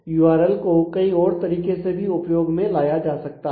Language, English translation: Hindi, So, URL can be used in a multiple other ways also